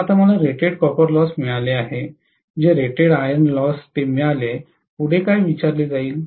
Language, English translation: Marathi, So now I have got what is rated copper loss, I have got what is rated iron loss, right